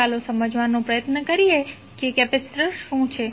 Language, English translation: Gujarati, Let us try to understand what is capacitor